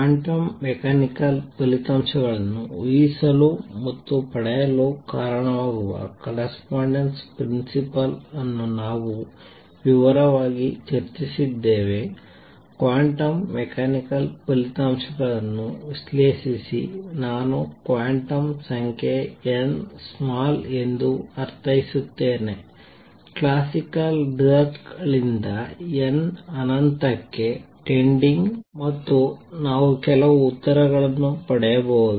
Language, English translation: Kannada, We have also discussed quite in detail the correspondence principle that lead to guessing and deriving quantum mechanical results, analyze a quantum mechanical results I would mean the quantum number n small, from the classical results n tending to infinity and we could get some answers